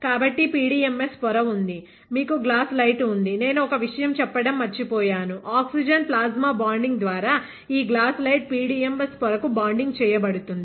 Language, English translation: Telugu, So, the PDMS membrane was there, you had a glass light; I forgot to tell one thing, is that how would is the glass light bonded to this PDMS membrane is through oxygen plasma bonding